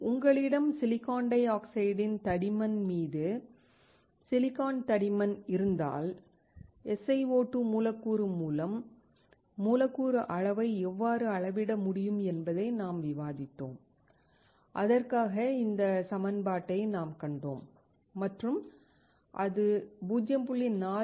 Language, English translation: Tamil, If you have thickness of silicon over thickness of silicon dioxide, we discussed how you can measure the molecular volume by molecular SiO2 where we saw this equation and found that it equal to 0